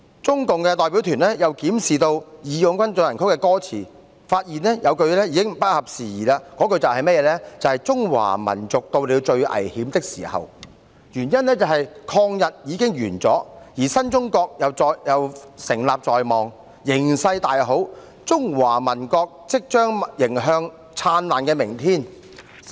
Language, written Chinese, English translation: Cantonese, 中共代表團又檢視"義勇軍進行曲"的歌詞，發現有句已經不合時宜，那句便是"中華民族到了最危險的時候"，原因是抗日已完，而新中國亦成立在望，形勢大好，"中華民族即將迎來燦爛的明天"才對。, The CPC delegation further reviewed the lyrics of March of the Volunteers and discovered that one line the peoples of China are at their most critical time was no longer opportune . The reason was that the War of Resistance against Japanese Aggression had come to an end and a new China was about to be established . Given the promising outlook it should be only alright to say that the peoples of China are about to embrace a bright future